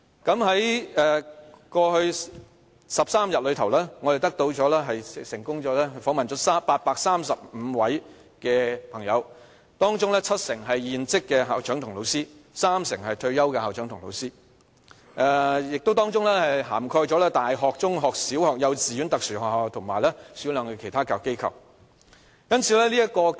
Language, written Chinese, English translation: Cantonese, 在過去13天，我們成功訪問了835位朋友，當中七成是現職的校長及老師，三成是退休的校長及老師，當中亦涵蓋了大學、中學、小學、幼稚園、特殊學校及少量的其他教育機構。, During the past 13 days we successfully interviewed 835 HKPTU members 70 % of them are serving school principals and teachers while 30 % are retired principals and teachers working for or having worked for universities secondary and primary schools kindergartens special schools and a few other educational institutions